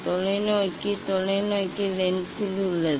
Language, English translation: Tamil, telescope, in telescope lens is there